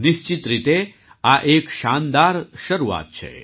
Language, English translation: Gujarati, This is certainly a great start